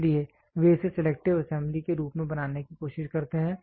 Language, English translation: Hindi, So, they try to make it as selective assembly